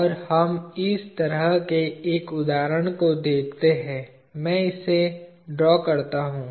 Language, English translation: Hindi, And we let us look at an example of this sort itself, let me draw this